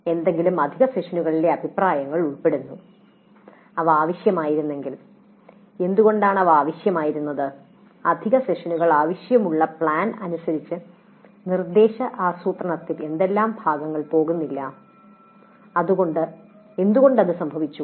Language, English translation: Malayalam, Then comments on any additional sessions were they required and if so why they were required which parts of the instruction planning did not go as per the plan requiring additional sessions and why that happened